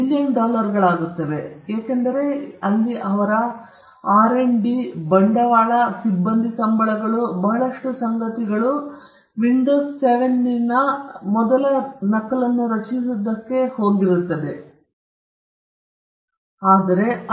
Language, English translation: Kannada, It will be few million dollars, because you look at their R&D, their investment, their staff salaries, a whole lot of things would have gone into creating the first copy of windows 7